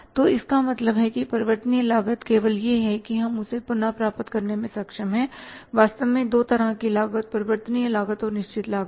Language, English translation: Hindi, So it means variable cost is only that we are able to recover only the actually there are two kind of the cost, variable cost and the fixed cost